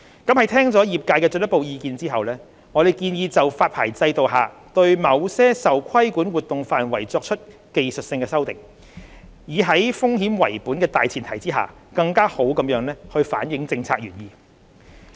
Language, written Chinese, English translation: Cantonese, 在聽取業界的進一步意見後，我們建議就發牌制度下對某些受規管活動範圍作出技術性修訂，以在風險為本的大前提下更好反映政策原意。, After due consideration of the further opinions given by the industry we propose some technical amendments to the scope of regulated activities RAs under the OTC derivative licensing regime to better reflect the policy intent under a risk - based environment